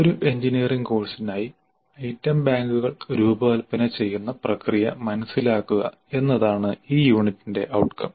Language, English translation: Malayalam, The outcomes for this unit are understand the process of designing item banks for an engineering course